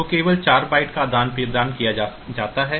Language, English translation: Hindi, So, only 4 bits are exchanged